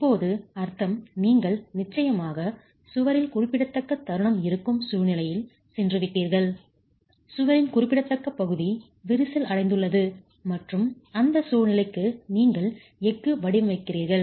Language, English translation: Tamil, Meaning now you have of course gone into a situation where there is significant moment in the wall, significant section of the wall is cracked and you are designing the steel for that situation